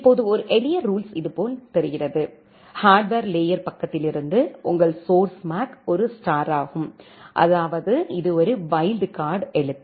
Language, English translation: Tamil, Now a simple rule looks like this, from the hardware layer side that, your source MAC is star; that means, it is a wild card character